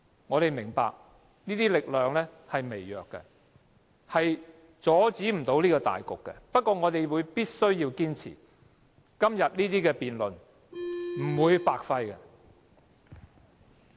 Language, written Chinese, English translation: Cantonese, 我們明白這些力量是微弱的，是不能阻止大局的，不過我們必須要堅持，今天這些辯論是不會白費的。, We understand that the strengthen we have is so weak that we cannot reverse the trend . But we must persevere the debate today is not going to be wasted